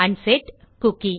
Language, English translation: Tamil, So unset a cookie